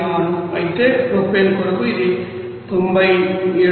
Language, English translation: Telugu, 86 whereas it is for propane is 97